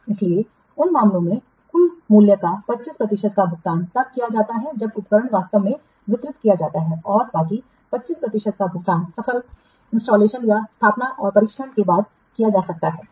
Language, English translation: Hindi, So in the in those cases, 75% of the total value is paid when the equipment is actually delivered and the rest of 25% may be paid after successful installation and testing